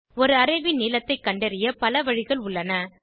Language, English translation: Tamil, There are many ways by which we can find the length of an array